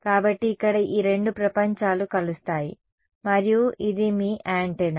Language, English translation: Telugu, So, here is where these two worlds will meet and this is your antenna right